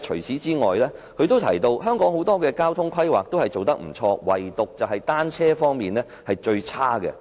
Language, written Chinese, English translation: Cantonese, 此外，她提到香港有很多交通規劃做得不錯，唯獨是單車方面是最差的。, Besides she said that Hong Kong had done a good job in drawing up planning for many transport facilities but in the case of cycling facilities the relevant planning was most unsatisfactory